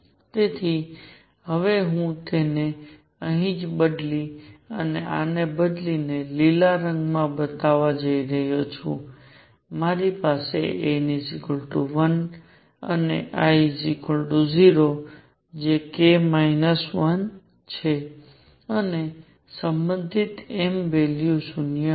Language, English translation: Gujarati, So, that I am now going to change right here and show it in green instead of this I am going to have n equals 1 and l equals 0, which is k minus 1 and corresponding m value would be 0